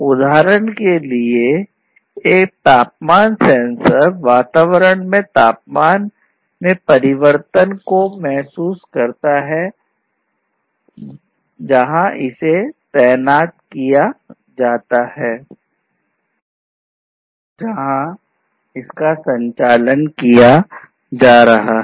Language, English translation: Hindi, So, a temperature sensor for example, will sense the changes in the temperature of the environment in which the sensor, the temperature sensor, has been deployed, is operating